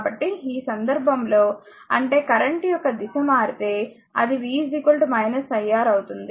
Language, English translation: Telugu, So, in this case so, that means, it if direction of the current change it will be v is equal to minus iR